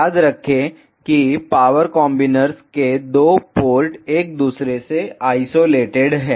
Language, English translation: Hindi, Remember that the 2 ports of the power combiners are isolated from each other